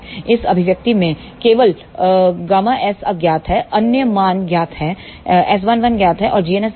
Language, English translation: Hindi, In this expression the only unknown is gamma s other values are known S 1 1 is known and g n s is known